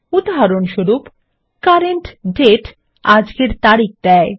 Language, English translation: Bengali, For example, CURRENT DATE returns todays date